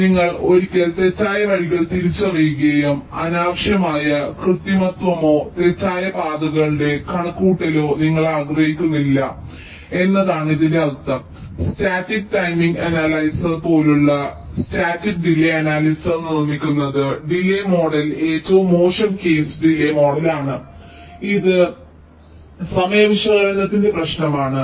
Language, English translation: Malayalam, so the implication is that you one false paths to be identified and you do not want unnecessary manipulation or computation of false paths that are produced by static delay analysis, like static timing analyzer, where the delay model is the worst case delay model